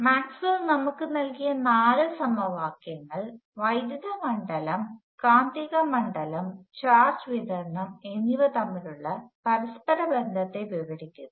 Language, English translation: Malayalam, The four equations given to us by Maxwell describe the interrelationships between electric field, magnetic field and charge distribution